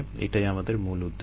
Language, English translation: Bengali, this is our system